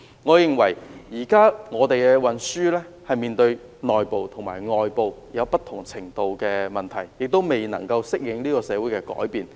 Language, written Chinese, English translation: Cantonese, 我認為現時本港的交通運輸正面對內部及外部不同程度的問題，亦未能夠適應社會的改變。, In my opinion the transport in Hong Kong is facing internal and external problems of varying degrees and fails to cope with the changes in society